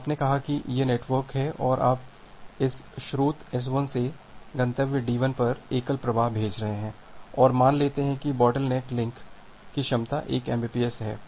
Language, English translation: Hindi, So, you have say this network and you are you are sending a single flow from this source to S1 to destination D1 and assume that this bottleneck link capacity is 1 Mbps